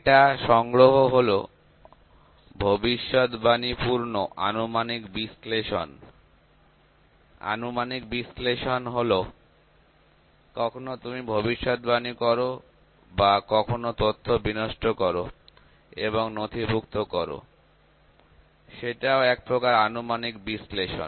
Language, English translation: Bengali, So, this is collect data is predictive analytics; predictive analytics is you predict sometimes, sometimes you predict or sometimes you just collapse the data and you just record the data that is a kind of predictive analytics